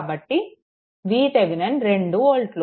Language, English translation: Telugu, So, V Thevenin is equal to 2 volt right